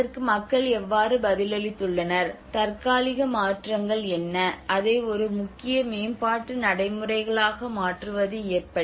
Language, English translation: Tamil, How people have responded to it what are the temporal changes it occurred you know how to make it into a mainstream development procedures